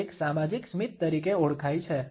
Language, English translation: Gujarati, This is known as a social smile